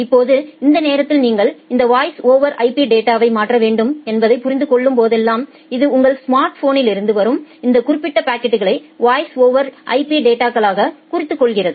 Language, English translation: Tamil, Now, whenever it understand that you need to transfer this voice over IP data during that time it marked this particular packets which are coming from your smartphone as the voice over IP data